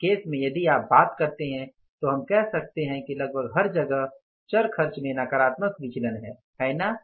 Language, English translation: Hindi, So, in this case if you talk about we can say that in the variable expenses almost everywhere there is a negative variance, right